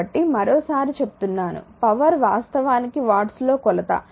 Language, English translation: Telugu, So, once again the power actually is measure in watts